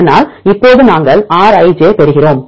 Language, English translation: Tamil, So, now, we get the Rij